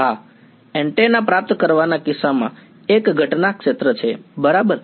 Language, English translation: Gujarati, Yes, in the case of receiving antenna there is an incident field right